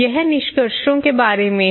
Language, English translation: Hindi, This is about the findings